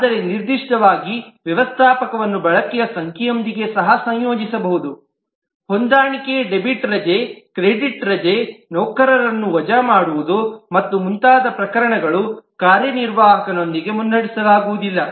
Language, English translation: Kannada, But specifically, manager can also associated with number of use cases like adjust debit leave, credit leave, hiring, firing of employees and so on, which neither the lead not the executive will be associated with